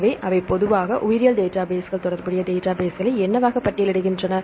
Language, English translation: Tamil, So, what are they generally list biological databases relational database